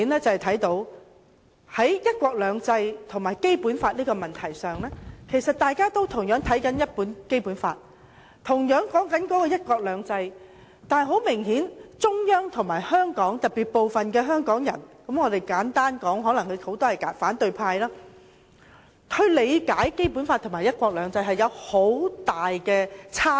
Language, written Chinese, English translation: Cantonese, 在"一國兩制"和《基本法》的問題上，大家都是看相同的《基本法》，討論相同的"一國兩制"，但很明顯，中央和部分香港人——簡單來說，很多可能是反對派——對《基本法》和"一國兩制"的理解有很大差異。, In considering the issues of one country two systems and the Basic Law we are reading the same Basic Law and we are discussing the same principle of one country two systems but apparently the Central Authorities and some Hong Kong people―simply put many of them are possibly from the opposition camp―have interpreted the Basic Law and the principle of one country two systems very differently